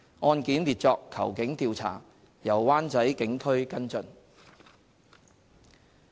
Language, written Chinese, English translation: Cantonese, 案件列作"求警調查"，由灣仔警區跟進。, The cases classified as Request for police investigation are followed up by the Wanchai Police District